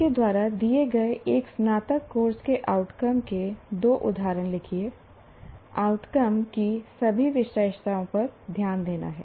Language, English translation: Hindi, Write two examples of outcomes of an undergraduate course offered by you paying attention to all the features of an outcome